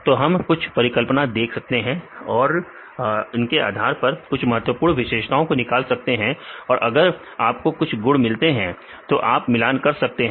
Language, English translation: Hindi, So, we can give some hypothesis and based on the hypothesis we derive some important features and if you get some properties then we can relate